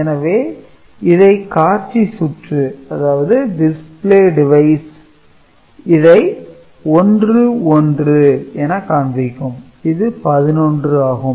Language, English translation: Tamil, So, the display device will show 1 and 1 which is 11 and which is the correct result